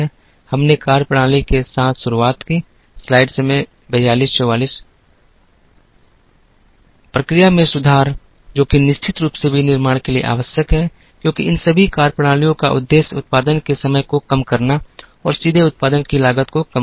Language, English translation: Hindi, We started with methodologies on process improvement, which is of course absolutely essential for manufacturing, because all these methodologies aim at minimizing the time of production and minimizing the cost of production directly